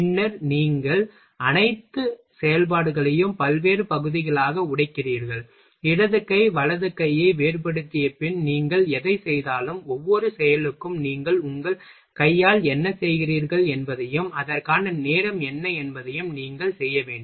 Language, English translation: Tamil, Then you just breaking all the operation in a various part, and whatever you are after distinguishing left hand right hand, then you will have to make symbol for each operation whatever you are doing by your hand, and that what the time is required for that operation